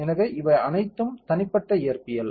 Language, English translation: Tamil, So, these are all individual physics